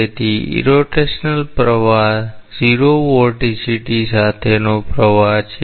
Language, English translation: Gujarati, So, irrotational flow is a flow with 0 vorticity